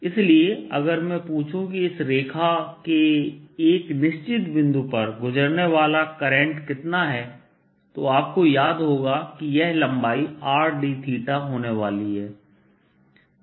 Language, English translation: Hindi, therefore, if i were to ask how much is the current at a certain point passing through this line, then you recall that this length is going to be r d theta